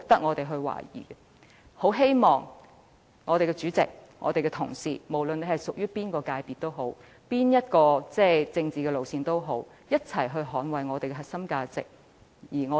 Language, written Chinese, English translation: Cantonese, 我很希望立法會主席和各位同事，無論屬於哪一界別，採取哪一政治路線，都要一同捍衞我們的核心價值。, I sincerely hope that President and fellow Members would strive to defend our core values together no matter which sector they belong and what political line they adopt